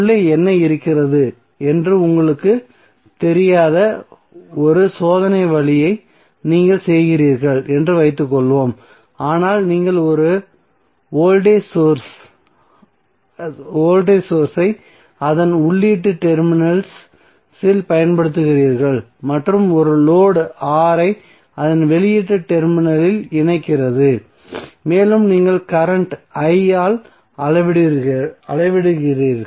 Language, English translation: Tamil, So suppose you are doing on a experiment way you do not know what is inside but you are applying one voltage source across its input terminals and connecting a load R across its output terminal and you are measuring current I